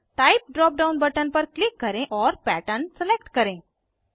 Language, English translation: Hindi, Click on Type drop down button and select Pattern